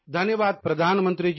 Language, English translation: Hindi, Thank you Prime Minister Ji